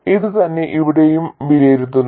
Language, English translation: Malayalam, It is the same as what is evaluated here